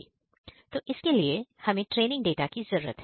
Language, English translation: Hindi, So, for this we need training data